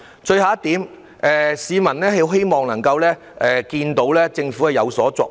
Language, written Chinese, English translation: Cantonese, 最後一點，市民希望看到政府有所作為。, Lastly people would like to see a competent government